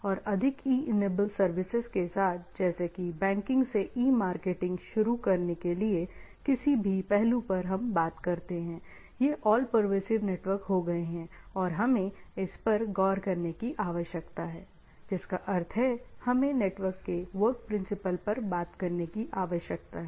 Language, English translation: Hindi, And with the more E enabled services like starting from banking to E marketing to any aspects we talk about is so, these networks become all pervasive and we need to look into this, means working principles of the network